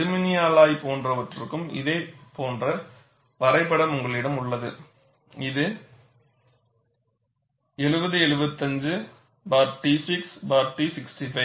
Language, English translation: Tamil, And you also have a similar graph for an aluminum alloy; this is 7075t6t65